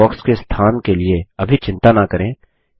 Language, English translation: Hindi, Do not worry about the placement of the list box now